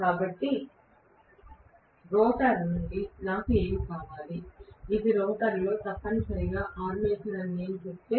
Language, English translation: Telugu, So, what I require from the rotor, if I say that this is essentially armature in the rotor